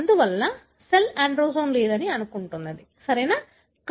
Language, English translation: Telugu, Therefore, the cell would assume there is no androgen, right